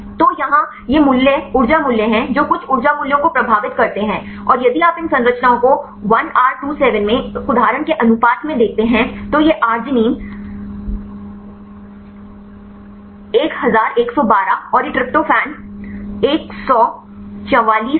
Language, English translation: Hindi, So, here these are the values the energy values some residues the energy values and if you look into these structures for example ratio one example in 1R27, this arginine 1112 and this is a tryptophan 144